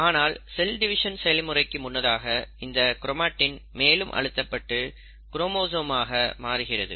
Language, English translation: Tamil, But right before it is ready to undergo cell division, the chromatin further condenses into chromosome